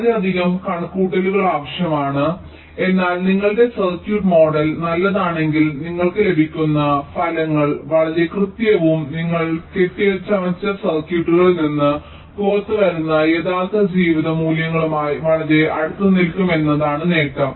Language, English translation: Malayalam, but the but, the advantage is that if your circuit model is good enough, the results you get will be very accurate and will and will quite closely tally with the real life values which you get out of the fabricated circuits